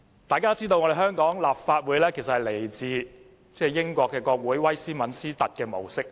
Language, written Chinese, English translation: Cantonese, 眾所周知，香港立法會是來自英國國會威斯敏斯特模式。, We all know that the legislature in Hong Kong adopts the Westminster model of the Parliament in the United Kingdom